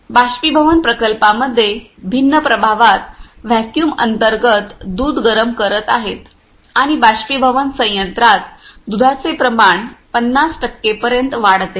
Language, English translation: Marathi, In evaporation plant milk is heating under a vacuum in a different effects and concentration of milk is increased up to the 50 percent in evaporation plant